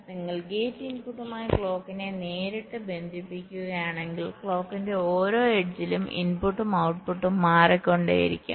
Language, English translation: Malayalam, now, if you are directly connecting the clock with the gate input, so the input as well as the output will be changing at every edge of the clock